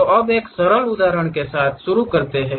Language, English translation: Hindi, So, now let us begin with one simple example